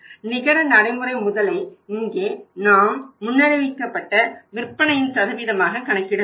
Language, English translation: Tamil, Net working capital here we have calculated as the percentage of the forecasted sales